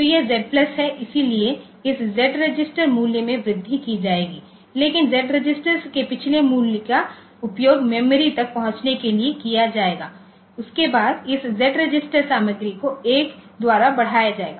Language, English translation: Hindi, it is Z plus, so this Z register value will be incremented, but the previous value of Z register will be used to access the memory after that this Z, Z register content will be incremented by 1